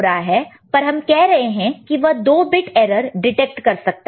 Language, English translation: Hindi, But we were saying that it can detect 2 bit error